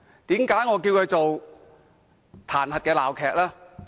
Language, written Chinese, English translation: Cantonese, 為何我稱它為彈劾鬧劇？, Why do I call it an impeachment farce?